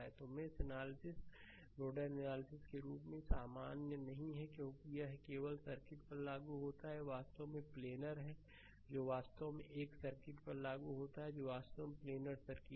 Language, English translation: Hindi, So, mesh analysis is not as a general as nodal analysis because it is only applicable to circuits, that is actually planar right that is actually applicable to a circuit that is actually planar circuit right